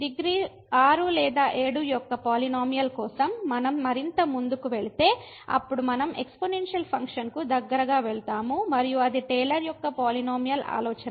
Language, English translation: Telugu, And if we move further for the polynomial of degree 6 or 7, then we will be moving closer to the exponential function and that’s the idea of the Taylor’s polynomial